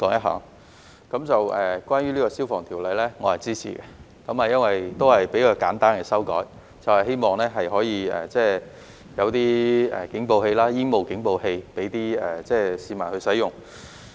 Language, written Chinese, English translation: Cantonese, 關於《2021年消防規例》，我是支持的，因為這也是比較簡單的修改，希望可以有警報器、煙霧警報器供市民使用。, Regarding the Fire Service Amendment Regulation 2021 I am in support of it because it is a relatively simple amendment proposed in the hope of making fire alarms smoke alarms etc . available for use by the public